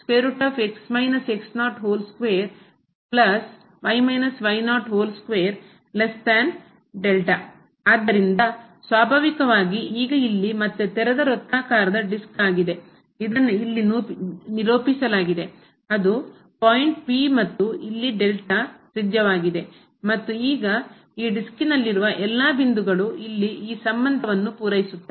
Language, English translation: Kannada, So, naturally now this one here is again open circular disc which is represented here; that is the point P and the radius here is delta and now all the points here in this disk satisfies this relation here